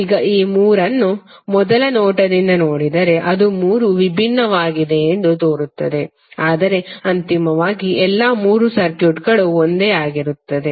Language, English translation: Kannada, Now if you see all this three from first look it looks likes that all three are different, but eventually all the three circuits are same